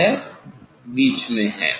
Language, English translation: Hindi, Now, it is in middle